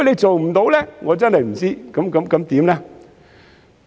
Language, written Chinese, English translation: Cantonese, 做不到的話，我真的不知會怎樣。, If it fails to do so I really do not know what will happen